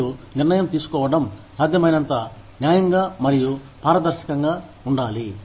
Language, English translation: Telugu, And, the decision making, should be as fair and transparent, as possible